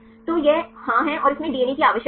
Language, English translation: Hindi, So, this is yes and it contains DNA you need